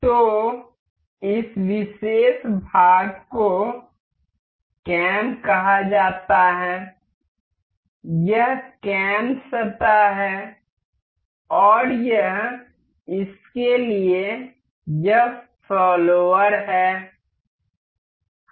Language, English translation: Hindi, So, this particular part is called as cam, this is cam surface and this is a follower for this